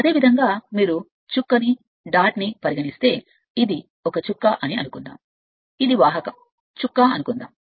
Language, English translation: Telugu, And similarly if you take a if you take a you are what you call suppose a dot suppose, this is the conductor suppose dot